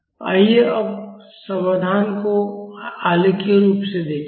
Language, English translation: Hindi, Now let us see the solution graphically